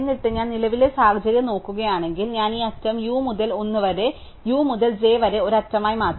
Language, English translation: Malayalam, And then if I look at the current situation, then I will replace this edge from u to l as an edge from u to j directly